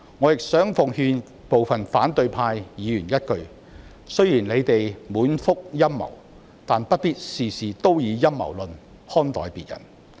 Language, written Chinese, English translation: Cantonese, 我亦想奉勸部分反對派議員一句：雖然你們滿腹陰謀，但不必事事都以陰謀論看待別人。, Also I would like to give some advice to the opposition Members although you are full of conspiracies you should not judge others with a conspiracy theory in all matters